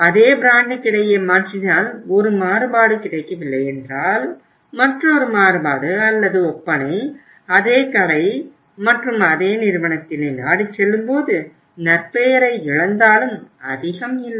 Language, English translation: Tamil, If he substitute the same brand it means if the one variant is not available go for the another variant or the cosmetic and same store and same company but some loss of the reputation but not much